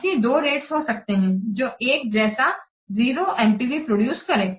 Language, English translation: Hindi, There can be but two rates that will produce the same 0 NPV